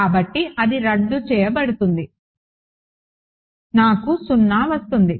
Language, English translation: Telugu, So, it will cancel off I will get 0